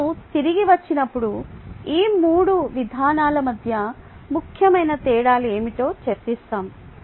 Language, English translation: Telugu, when we come back, we will discuss what where the essential differences between these three approaches